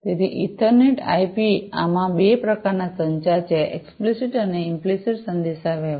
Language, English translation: Gujarati, So, in EtherNet/IP there are two types of communications; explicit and implicit communication